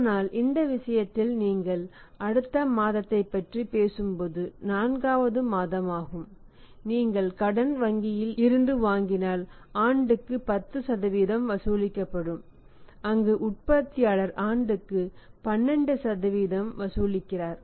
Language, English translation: Tamil, But in this case when you talk about the next month it is a 4th month if you borrow the money from the bank will charge 10% per annum where as the manufacturer is charging 12% per annum